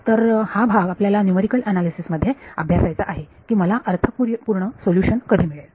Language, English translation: Marathi, So, this is the part may be study the numerical analysis of when will I get a meaningful solution